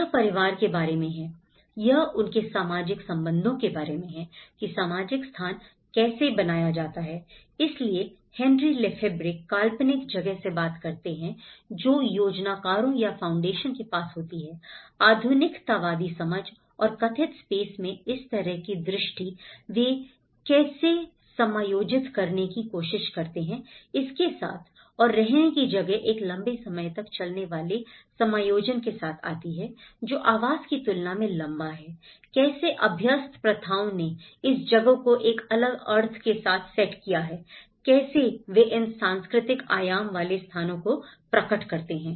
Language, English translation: Hindi, It is about the family, it is about their social relationship, how the social space is created, so Henri Lefebvre talks from the conceived space, which the planners or the foundation have vision like this in a modernistic understanding and the perceived space, how they try to adjust with it and the lived space come with a longer run adjustments, longer than accommodation, how the habitual practices set this place with a different meanings, how they manifest these places with the cultural dimension